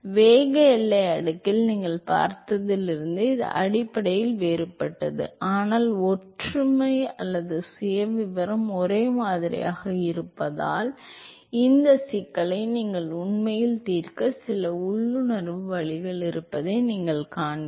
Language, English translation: Tamil, This is fundamentally different from what you saw in the momentum boundary layer, but we will see that because of the similarity or the profile is similar, you will see that there is some intuitive way by which you can actually solve this problem